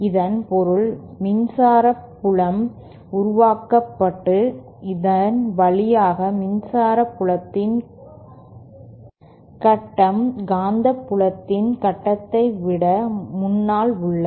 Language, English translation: Tamil, It simply means that the electric field is made, the phase of the electric field after passing through this is ahead of ahead of the phase of the magnetic field